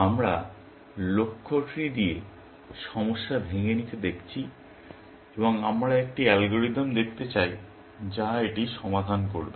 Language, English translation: Bengali, We are looking at problem decomposition with goal trees, and we want to look at an algorithm, which will solve it